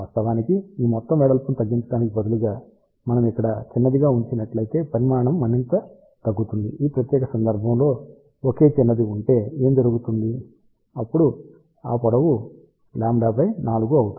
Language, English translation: Telugu, In fact, instead of shorting this entire width if we just put single short over here size will reduce even further, in that particular case what will happen if there is a single short then this length will become lambda by 4